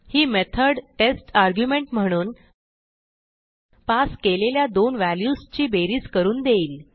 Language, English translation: Marathi, So this method will give us the sum of two values that are passed as argument to this methods